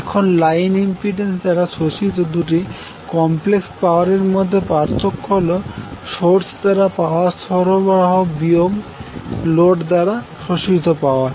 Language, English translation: Bengali, Now the difference between the two complex powers is absorbed by the line impedance that means the power supplied by the source minus the power absorbed by the load